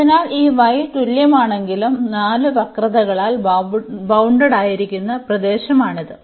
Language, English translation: Malayalam, So, this is the region bounded by the 4 curves though this y is equal to